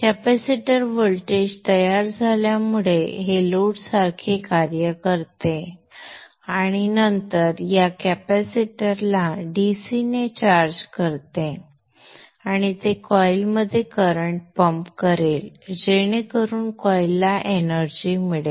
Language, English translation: Marathi, As the capacitor voltage builds up up this acts like load and then charges of this capacitor, this capacitor to the DC and it will pump current into the coil so that the coil gets energized